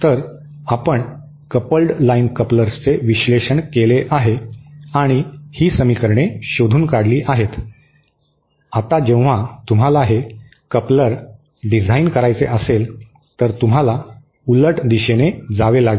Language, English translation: Marathi, So, we have analysed the coupled line couplers and found out these equations, now when you want to design this coupler, you have to have however go in the opposite direction